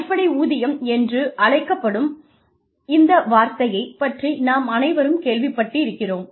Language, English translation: Tamil, We have all heard, about this term called, basic pay